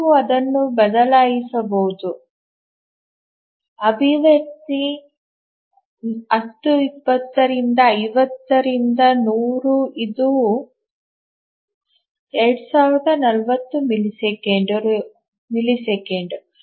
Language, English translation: Kannada, So, you can just substitute that in an expression, 1020 by 50 by 100 which is 2,040 milliseconds